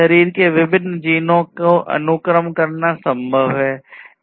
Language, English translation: Hindi, It is possible to sequence the different genes in the body